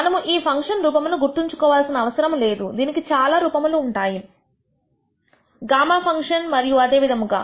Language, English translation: Telugu, We do not need to remember the form of this function it has them gamma function and so, on